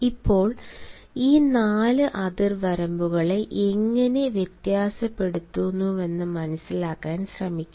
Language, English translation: Malayalam, now let us try to understand how these four space zones vary